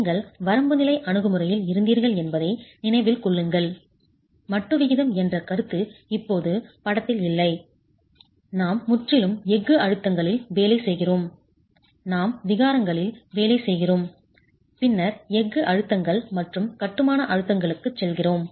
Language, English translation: Tamil, Mind you where in the limit state approach, the concept of modular ratio is out of the picture now when we are working purely on steel stresses and we are working on strains and then moving onto the steel stresses and the masonry stresses